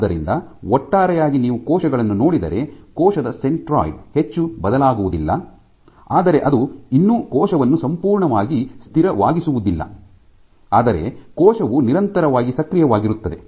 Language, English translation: Kannada, So, overall if you look think of the cells, the centroid of the cell does not change much, but that still does not make the cell completely static, but the cell is continuously doing